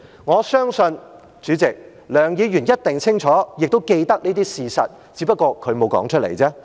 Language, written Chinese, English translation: Cantonese, 我相信，梁議員一定清楚，亦都記得這些事實，只不過她沒有說出來。, I believe Dr LEUNG must fully know and remember these facts but she just has not put them in words